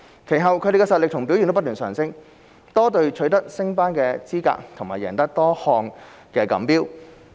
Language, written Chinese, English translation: Cantonese, 其後它們的實力和表現不斷提升，多隊取得升班資格和贏得多項錦標。, The district teams have become stronger with many of them qualifying for promotion to higher divisions of the league and winning numerous championships